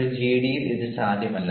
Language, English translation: Malayalam, now, this is not possible in a gd